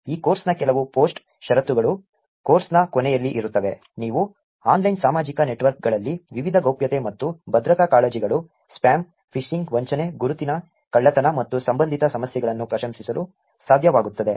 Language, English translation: Kannada, Some of the post conditions for this course is going to be at the end of the course, you will be able to appreciate various privacy and security concerns, spam, phishing, fraud, identity theft and related issues on online social networks